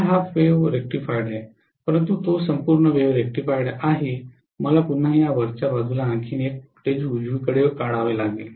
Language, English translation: Marathi, This is half wave rectified, but it is full wave rectified I have to again draw on the top of this also one more voltage right